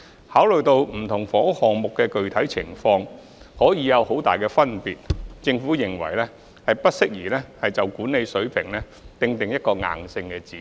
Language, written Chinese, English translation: Cantonese, 考慮到不同房屋項目的具體情況可以有很大差距，政府認為不宜就管理費水平訂定一個硬性指標。, Considering that the specific circumstances of different housing projects may be widely different the Government does not consider it appropriate to lay down a set of rigid indicators with regard to the management fee level